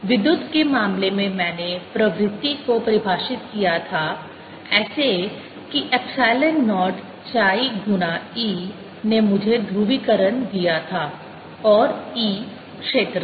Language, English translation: Hindi, in the electrical case i had susceptibility defines such that epsilon naught chi times e gave me polarization